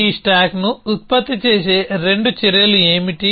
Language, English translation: Telugu, What are the two actions will produce this stack